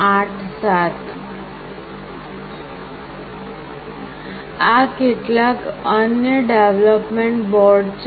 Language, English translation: Gujarati, These are some common development boards